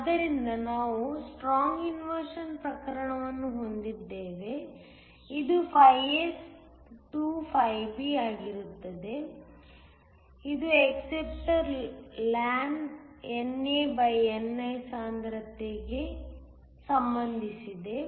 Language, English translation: Kannada, So, We have a case of strong inversion were S is 2 B, this in turn is related to the concentration of the acceptors lawn NA/ni